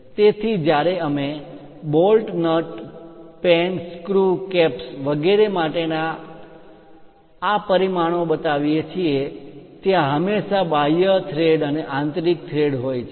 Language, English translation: Gujarati, So, when you are showing these dimensioning for bolts, nuts, pen, screws, caps and other kind of things there always be external threads and internal threads